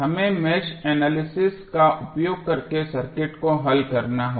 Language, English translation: Hindi, We have to solve the circuit using mesh analysis